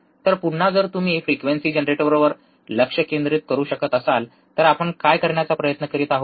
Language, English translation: Marathi, So, again if you can focus back on the frequency generator, what we are now trying to do